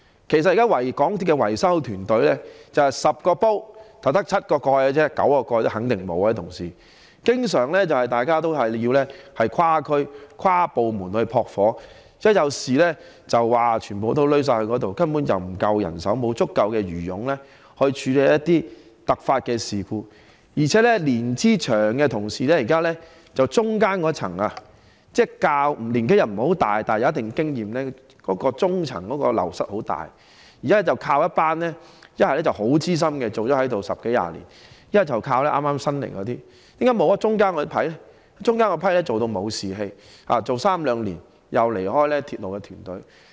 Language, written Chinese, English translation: Cantonese, 其實港鐵現時的維修團隊面對的情況就像 "10 個煲，只有7個蓋"般——肯定9個蓋也沒有——維修人員經常須跨區、跨部門"撲火"，在發生事故時須動員全部人員，根本沒有足夠人手處理突發事故，而且年資長的同事——即中間年紀不算太大，但有一定經驗的那一層——流失量很大，現時要不便是依靠一群已工作十多二十年、很資深的員工，要不便是靠新入職的同事，為何欠缺了中層的員工？, In fact the situation faced by the repairs and maintenance team of MTRCL at present is like having 10 pots but only seven lids―there are surely fewer than nine lids―so the repairs and maintenance staff often have to cross districts and departments to put out fires and when incidents happen all staff members have to be mobilized as there is insufficient manpower to deal with contingencies . Moreover the wastage of senior workers―that is the workers in the middle tier who are considered that old but who have a certain degree of experience―is very serious . At present it is necessary to rely either on a group of senior staff members who have worked for one or two decades or newly - recruited workers